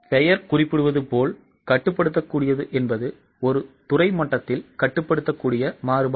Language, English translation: Tamil, As the name suggests, controllable means those variances which can be controlled at a departmental level